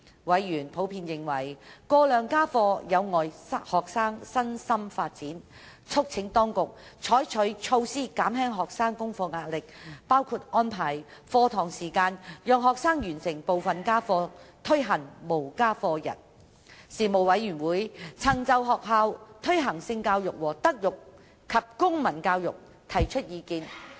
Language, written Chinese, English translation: Cantonese, 委員普遍認為過量家課有礙學生身心發展，促請當局採取措施減輕學生功課壓力，包括安排課堂時間讓學生完成部分家課、推行"無家課日"等。事務委員會曾就在學校推行性教育和德育及公民教育提出意見。, Members were generally of the view that excessive homework would have negative effects on students physical and psychological development . They called upon the Administration to adopt measures in alleviating the homework pressure of students such as arranging some tutorial sessions within school time for students to complete part of their homework and implementing No Homework Day The Panel had voiced its opinions on the promotion of sex education as well as moral and civic education MCE in schools